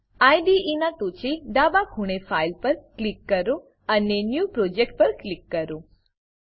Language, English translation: Gujarati, On the top left corner of the IDE, Click on File and click on New Project